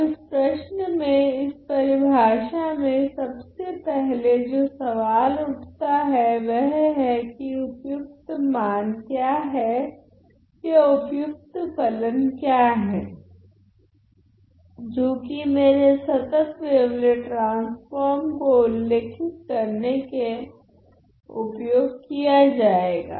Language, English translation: Hindi, So, this question is this question that the first question that arose in this definition is what are the suitable values or what are the suitable functions psi that can be used to describe my continuous wavelet transform